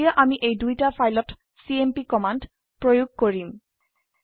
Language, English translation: Assamese, Now we would apply the cmp command on this two files